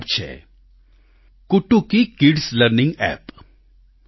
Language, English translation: Gujarati, Among these there is an App 'Kutuki Kids Learning app